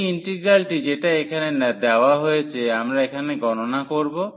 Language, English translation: Bengali, So, here this is the integral we want to compute now